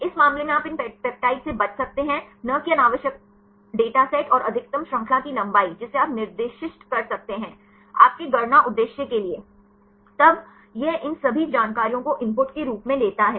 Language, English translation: Hindi, In this case you can avoid these peptides from these not redundant data set and maximum chain length that also you can specify; for your calculation purpose; then it takes all these information as input